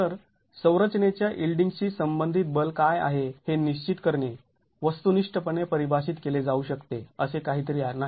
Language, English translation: Marathi, So, defining what is the force corresponding to the yielding of the structure is not something that can be defined objectively